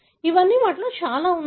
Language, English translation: Telugu, These are all many of them